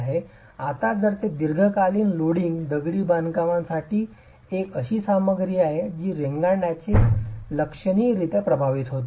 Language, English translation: Marathi, Now if it is for long term loading, masonry is a material that is quite significantly affected by creep